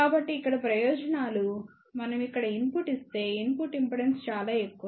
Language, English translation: Telugu, So, here the advantages, if we give input here input impedance is very high